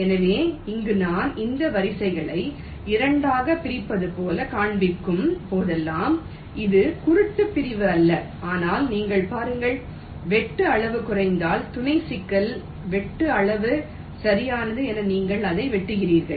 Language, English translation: Tamil, ok, so so here, whenever i am showing these lines as if they are dividing it up into two it is not blind division, but you look at the cut size minimization sub problem, you cut it in such a way that the cutsize is minimized right